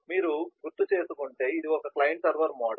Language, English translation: Telugu, if you recall, this was a basic client server module